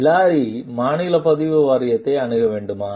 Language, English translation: Tamil, Should Hilary consult the state registration board